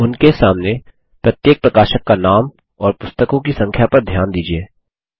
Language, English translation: Hindi, Notice the publisher names and the number of books by each publisher beside them